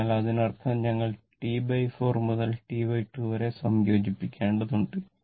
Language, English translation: Malayalam, So, this is; that means, we have to integrate from T by 4 to T by 2